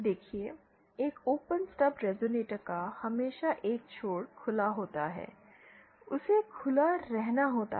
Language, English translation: Hindi, See, an open stub resonator will always have one end either open, it has to have open